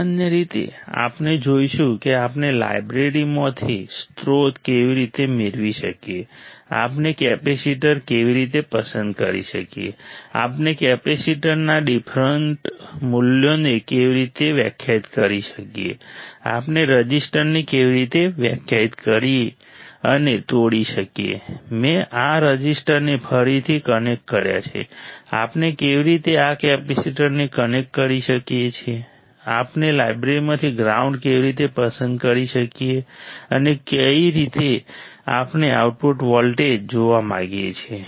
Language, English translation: Gujarati, In general we will see how we can get the source from the library, how we can select the capacitor, how we can define deferent values of capacitor, how we can define and break the resistors, I have again connected these resistors, how we can connect this capacitor, how we can select the ground from the library, and how at what point we want to see the output voltage